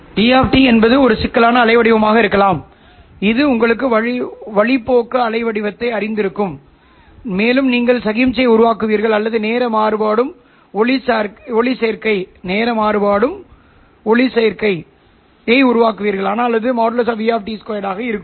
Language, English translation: Tamil, E of T could be a complex waveform, you know, the phaser waveform, and you will be generating the signal or the photo current which is time varying but it would be magnitude of E of T square